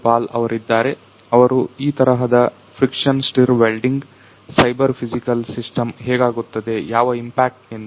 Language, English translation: Kannada, Pal who is going to explain how this kind of friction stir welding is cyber physical system what’s impacted